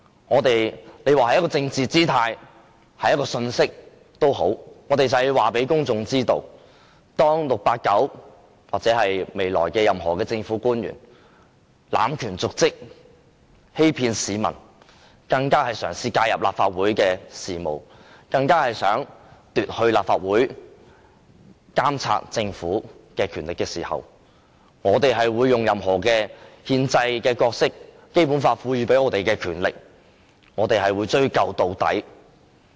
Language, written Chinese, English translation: Cantonese, 你說這是一種表達政治姿態的信息也好，我們就是要告訴公眾，當 "689" 或未來任何政府官員濫權瀆職、欺騙市民，甚至嘗試介入立法會事務，企圖奪去立法會監察政府的權力時，我們會發揮憲制角色、用《基本法》賦予的權力，追究到底。, You may say that is a political gesture but we have to tell the public that when 689 or any future public official abuses his or her power and commits dereliction of duty deceives the people and even interferes with the affairs of the Legislative Council and attempts to take away the power of the Legislative Council in monitoring the Government we will perform our constitutional role and exercise the power given by the Basic Law to pursue the matter to the very end